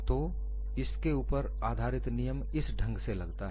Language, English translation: Hindi, So, based on this the law appears in this fashion